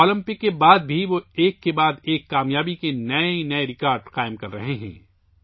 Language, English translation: Urdu, Even after the Olympics, he is setting new records of success, one after the other